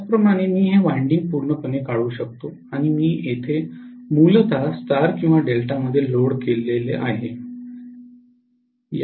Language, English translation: Marathi, Similarly, I can eliminate this winding completely, and I would be able to connect the load may be connected in star or delta here basically